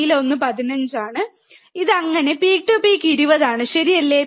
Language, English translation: Malayalam, The blue one is 15 and this one so, peak to peak is 20, alright